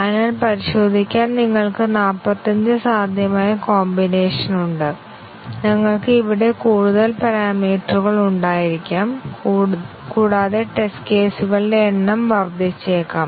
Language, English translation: Malayalam, So, we have 45 possible combination to test and we might have more parameters here and it can the number of test cases can blow up